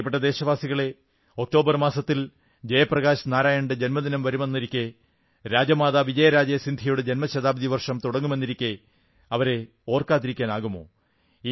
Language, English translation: Malayalam, My dear countrymen, the month of October heralds, Jai Prakash Narayan ji's birth anniversary, the beginning of the birth centenary of RajmataVijayarajeScindiaji